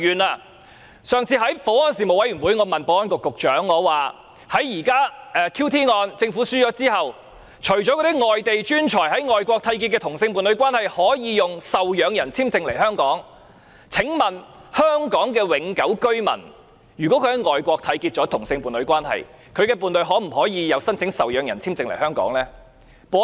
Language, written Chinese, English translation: Cantonese, 在上次的保安事務委員會會議上，我問保安局局長 ，QT 案政府敗訴後，除了外地專才已在外國締結同性伴侶關係的伴侶，可以以受養人簽證來香港外，香港永久居民在外國締結同性伴侶關係，他的伴侶可否申請受養人簽證來香港？, At the last meeting of the Panel on Security I asked the Secretary for Security After the Government has lost the QT case apart from allowing the homosexual partner of a foreign talent with whom a union has been entered into abroad to enter Hong Kong on a dependent visa will the homosexual partner of a Hong Kong permanent resident with whom a union has been entered into abroad apply to enter Hong Kong on a dependent visa?